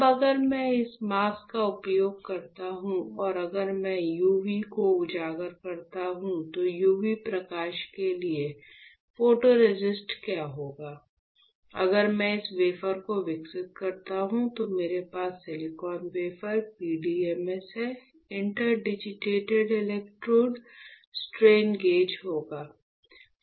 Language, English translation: Hindi, Now, if I use this mask and if I expose UV, the photoresist to UV light what will happen; if I develop this wafer, I will have, silicon wafer, PDMS, interdigitated electrodes, strain gauge right